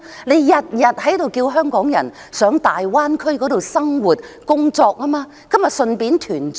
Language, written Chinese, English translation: Cantonese, 政府每天叫香港人到大灣區生活、工作，那麼何不順便團聚？, Every day the Government calls on Hong Kong people to live and work in the Greater Bay Area so why do they not take the opportunity to get reunited there?